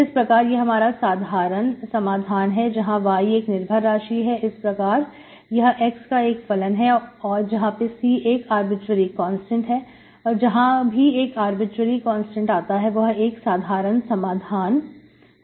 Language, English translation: Hindi, So this is your general solution y is the dependent variable, so it should be function of x as you can see, C is an arbitrary constant, C is an arbitrary constant, where C is the arbitrary constant is the general solution